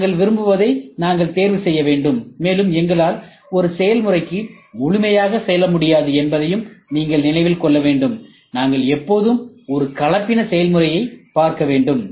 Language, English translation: Tamil, We have to choose what we want, and you should also keep in mind we cannot completely go for one process, we have to look always for a hybrid process